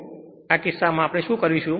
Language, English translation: Gujarati, So, in this case what we will do